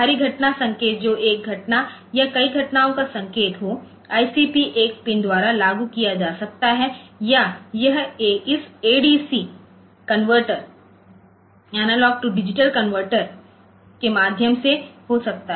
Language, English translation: Hindi, So, that time will be captured there, the external event signal indicating an event or multiple events can be applied by the ICP one pin or it can be via this ad convertor analog to digital convertor